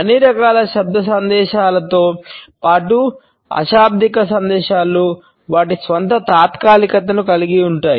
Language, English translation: Telugu, All types of verbal messages as well as nonverbal messages have their own temporalities